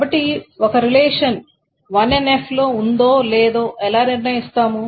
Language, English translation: Telugu, So how do we determine if a relation is in 1NF